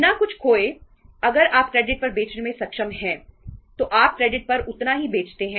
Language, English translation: Hindi, Without losing anything if you are able to sell on credit, you sell that much on credit